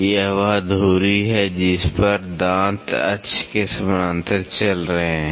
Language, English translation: Hindi, This is the axis, teeth are running parallel to the axis